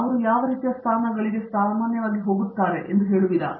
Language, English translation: Kannada, What sort of positions did you typically see them going towards